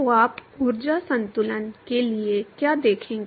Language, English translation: Hindi, So, what you will you see for energy balance